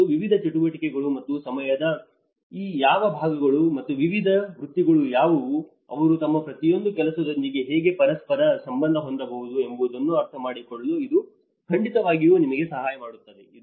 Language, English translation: Kannada, And that will definitely help us to understand what are the various activities and which segments of time and what are the various professions, how they can correlate with each of their work